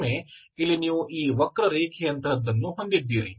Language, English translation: Kannada, And again here you have something like this curve